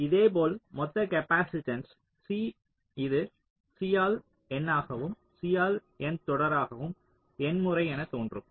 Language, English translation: Tamil, similarly, the total capacitance, c, this can appear as c by n, c by n, n times in parallel